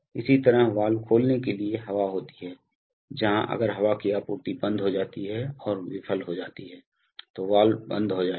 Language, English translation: Hindi, Similarly, there are air to open valves, where if the air supply close and fails then the valve will close